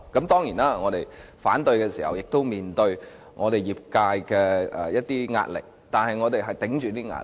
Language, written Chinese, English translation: Cantonese, 當然，在我們反對時，亦須面對我們業界的壓力，但我們頂着這些壓力。, Certainly in opposing the Bill we had to face the pressure from our sectors but we endured such pressure